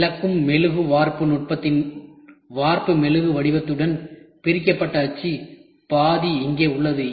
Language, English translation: Tamil, Separated mold half with cast wax pattern of lost wax casting technique is here